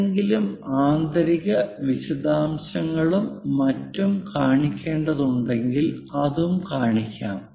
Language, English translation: Malayalam, If any inner details and so on to be shown that will also be shown